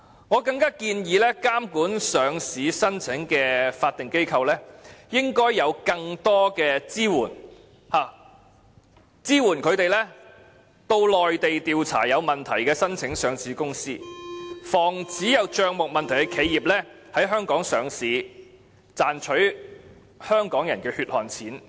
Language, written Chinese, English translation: Cantonese, 我更加建議監管上市申請的法定機構應有更多支援，以便他們可到內地調查有問題的申請上市公司，防止帳目有問題的企業在香港上市，賺取香港人的血汗錢。, I also suggest that more support should be provided to the statutory bodies responsible for regulating listing applications so that they may initiate investigation in the Mainland on companies that have submitted a listing application but have suitability concerns . This can prevent enterprises which have messy accounts from coming to list in Hong Kong and sucking in the hard - earned money of the people of Hong Kong